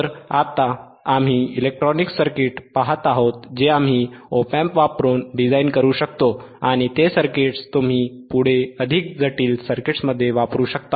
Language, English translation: Marathi, So, now what we are looking at the electronic circuits that we can design using op amp and those circuits you can further use it in more complex circuits